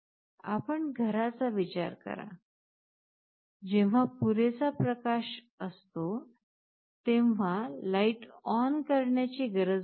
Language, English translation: Marathi, You think of a home, when there is sufficient light there is no point in switching ON the light